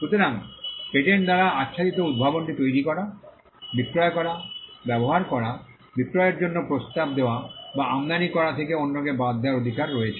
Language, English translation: Bengali, So, there you have a right to exclude others from making, selling, using, offering for sale or for importing the invention that is covered by the patent